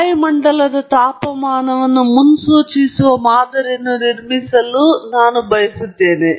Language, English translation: Kannada, Suppose I want to build a model that predicts the atmospheric temperature